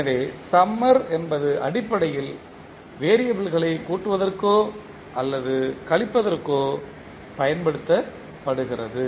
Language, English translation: Tamil, So summer is basically used for either adding or subtracting the variables